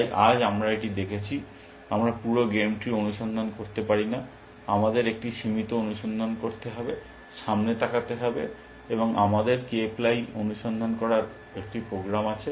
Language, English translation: Bengali, So today, we have seen this, that we cannot search the entire game tree, we have to do a limited look up, look ahead, and we have a program to do k ply search